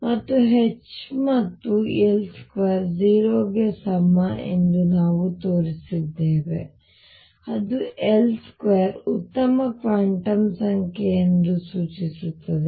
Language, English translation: Kannada, And we have shown that H and L square is equal to 0 which implies that L square is a good quantum number